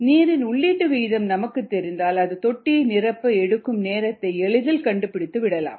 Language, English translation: Tamil, if you know the input rate of water, then you can figure out the time taken to fill the tank quite easily